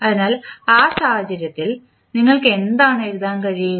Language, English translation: Malayalam, So, in that case what you can write